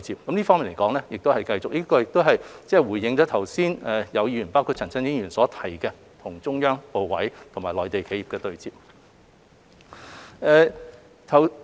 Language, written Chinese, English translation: Cantonese, 我們會繼續這方面的工作，亦回應了剛才有議員，包括陳振英議員所提及要求與中央部委和內地企業對接方面。, We will continue with our work in this regard . We have also responded to the request made by some Members just now including Mr CHAN Chun - ying for matching with the Central Authorities and Mainland enterprises